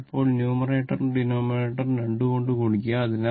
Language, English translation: Malayalam, So, this was your multiplying numerator and denominator by 2